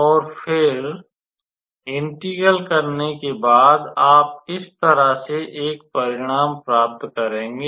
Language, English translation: Hindi, And after you do the integration, you will obtain a result like this